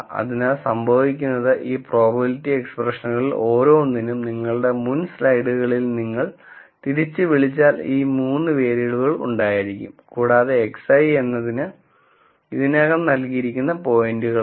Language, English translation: Malayalam, So, what happens is each of these probability expressions, if you recall from your previous slides, will have these 3 variables and x i are the points that are already given